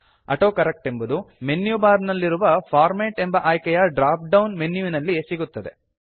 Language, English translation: Kannada, AutoCorrect is found in the drop down menu of the Format option in the menu bar